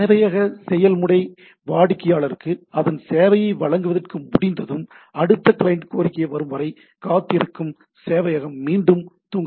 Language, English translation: Tamil, When the server process finished providing its service to the client, the server goes back to sleep waiting for the next client request to arrive